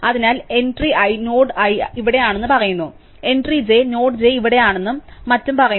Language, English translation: Malayalam, So, the entry i says node i is here, entry j says the node j is here and so on